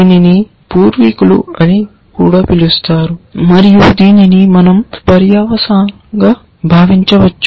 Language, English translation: Telugu, This is also called the antecedents and we can think of this as a consequent